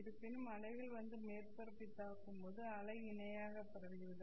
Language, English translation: Tamil, However, when the wave comes and hits the surface this way, the wave also gets parallelly transmitted